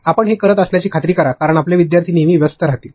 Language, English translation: Marathi, Make sure that you do that because your learners will always remain engaged